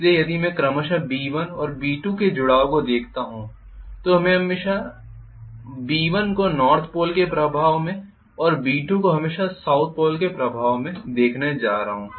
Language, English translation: Hindi, So if I look at the affiliation of B1 and B2 respectively I am going to have always B1 under the influence of North Pole and B2 under the influence of South Pole